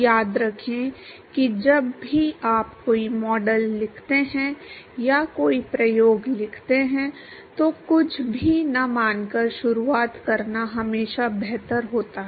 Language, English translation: Hindi, Remember that any time you write a model or you write a you conduct an experiment it is always better to start with assuming nothing